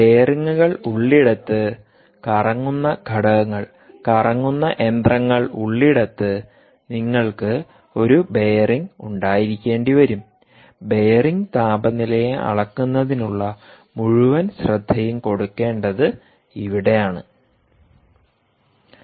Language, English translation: Malayalam, wherever there are bearings right, where ever there are rotating components, rotating machines, ah, um, you will have, you will have to have a bearing, and this is the whole focus, really, about measurement of ah bearing temperature